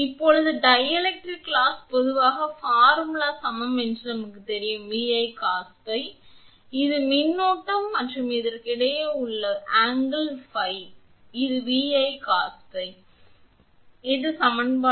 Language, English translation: Tamil, Now that dielectric loss generally we know formula P d is equal to V I cos phi, because this is my voltage, this is current and angle between this is phi, so, it is V I cos phi and phi is an your what you call and your phi is equal to 90 degree minus delta, phi is equal to 90 degree minus delta